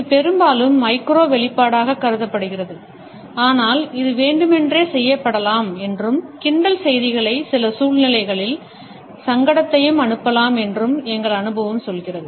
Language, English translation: Tamil, This is often considered to be a micro expression, but our experience tells us that it can also be done deliberately and sends messages of sarcasm as well as embarrassment in certain situations